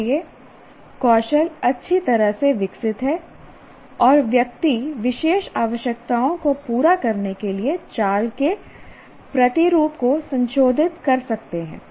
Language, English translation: Hindi, So skills are well developed and the individual can modify movement patterns to fit special requirements